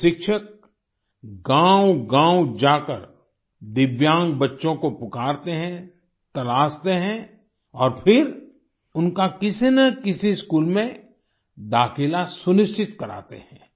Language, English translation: Hindi, These teachers go from village to village calling for Divyang children, looking out for them and then ensuring their admission in one school or the other